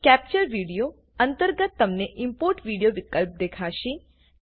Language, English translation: Gujarati, Under Capture Video, you will see the option Import Video